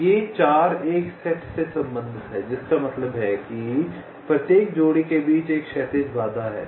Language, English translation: Hindi, so these four belong to a set means there is a horizontal constraint between every pair